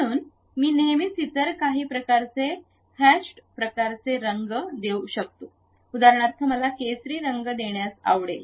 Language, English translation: Marathi, So, I can always give some other kind of hashed kind of colors for example, I would like to give saffron